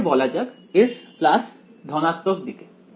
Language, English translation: Bengali, So, let us call this s plus it is on the positive side